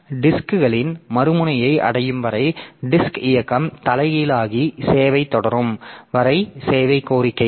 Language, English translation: Tamil, So, servicing request until it gets to the other end of the disk and there the disk movement is reversed and servicing continues